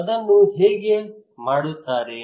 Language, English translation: Kannada, Now how they do it